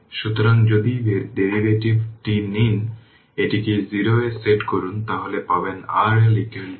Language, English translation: Bengali, So, if you take the derivative set it to 0 then you will get R L is equal to R Thevenin right